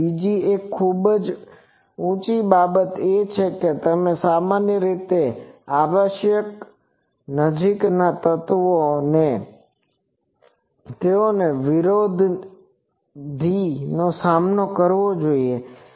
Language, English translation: Gujarati, So, very high another thing is they require generally that the adjacent elements they should be oppositely faced